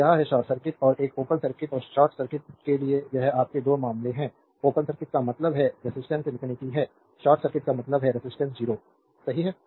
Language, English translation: Hindi, So, this is the this is the your 2 cases for short circuit and a open circuit and short circuit, open circuit means resistance is infinity, short circuit means resistance is 0, right